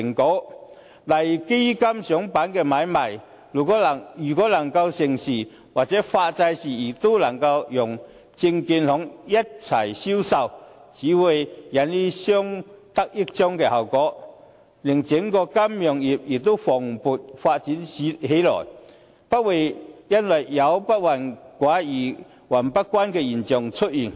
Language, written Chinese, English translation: Cantonese, 舉例來說，如果基金上板買賣能夠成事，或發債的時候能夠讓證券行一起銷售，只會起到相得益彰的效果，令整個金融業蓬勃發展起來，不會有"不患寡而患不均"的現象出現。, For example if funds can be listed and traded on the stock market or can be for sale by securities dealers during issuance of bonds all parties concerned will be benefited and the whole financial industry will flourish with the absence of such phenomenon as inequality rather than scarcity